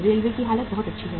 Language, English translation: Hindi, Railways condition is very very good excellent